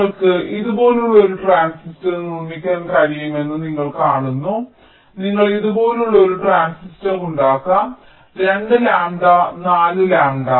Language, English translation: Malayalam, you can make a transistor like this: two lambda by four lambda